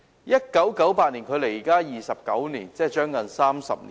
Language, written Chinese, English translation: Cantonese, 1988年距今29年，即接近30年。, Some 29 years or nearly 30 years have passed since 1988